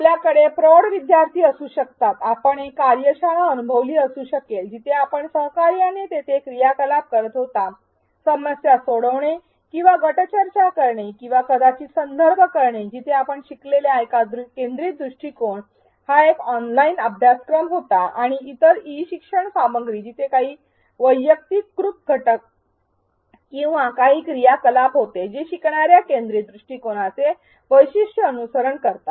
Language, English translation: Marathi, You may have as adult learners, you may have experienced a workshop where there was an activity you were doing collaboratively, doing problem solving or going doing group discussions or perhaps the context where you experienced a learner centric approach was an online course or other e learning content where there were certain personalized elements or certain activities which followed the characteristics of a learner centric approach